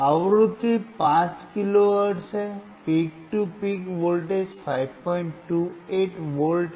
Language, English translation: Hindi, The frequency is 5 kilo hertz, peak to peak voltage is 5